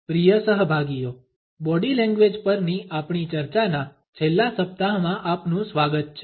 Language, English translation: Gujarati, Dear participants welcome to the last week of our discussions on Body Language